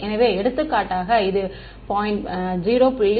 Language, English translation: Tamil, So, for example, this is 0